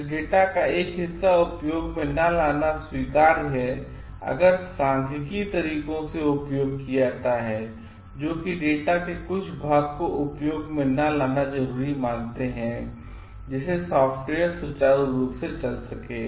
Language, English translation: Hindi, So, it is acceptable to drop a part of data if statistical methods that are used warrants that some part of the data be dropped for a smooth running of the software